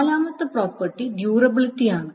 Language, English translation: Malayalam, And the fourth property is the durability